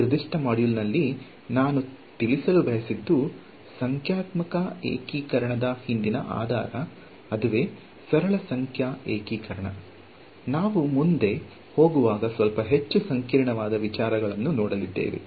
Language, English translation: Kannada, So, what is what I wanted to convey in this particular module is the basis behind numerical integration, simple numerical integration ok; as we go further we will look at little bit more complicated ideas ok